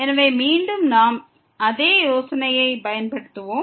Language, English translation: Tamil, So, again we will use the same idea